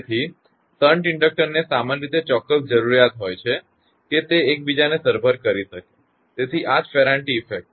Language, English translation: Gujarati, So, that is why shunt inductor usually requires certain such that it will compensate each other; that is why this Ferranti effect